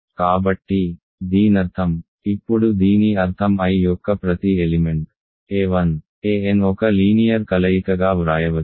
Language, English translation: Telugu, So, this simply means that, now this means that every element of I can be written as some linear combination of a 1 through an